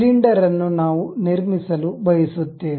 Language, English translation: Kannada, Cylinder, we would like to construct